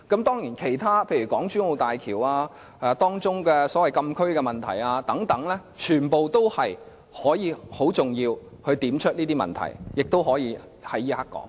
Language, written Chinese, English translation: Cantonese, 當然，其他問題，例如港珠澳大橋所謂禁區的問題等，全都很重要，亦可以在這時候說出來。, Of course other issues such as the so - called closed area in the Hong Kong - Zhuhai - Macao Bridge are all very important and can be discussed now